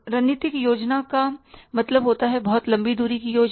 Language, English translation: Hindi, Strategic plan means is a very long range plan